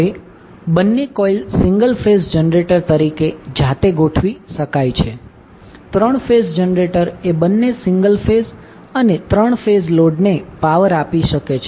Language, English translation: Gujarati, Now since both coils can be arranged as a single phase generator by itself, the 3 phase generator can supply power to both single phase and 3 phase loads